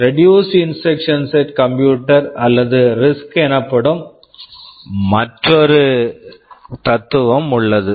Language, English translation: Tamil, There is another philosophy called reduced instruction set computers or RISC